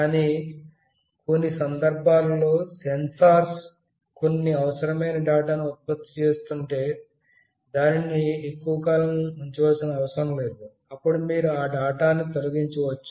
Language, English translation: Telugu, But, in some cases, if the sensors are generating some unnecessary data which need not have to kept for you know for all the period, then you can simply delete those data